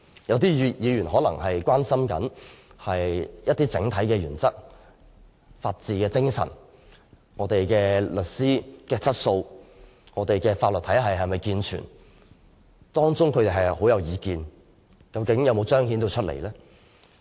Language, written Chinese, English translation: Cantonese, 有些議員可能很關心整體原則、法治精神、律師質素和法律體系是否健全，但他們的意見有否反映出來？, Some Members may be very concerned about issues such as the general principle the spirit of the rule of law quality of solicitors and soundness of the legal system but have their views been reflected?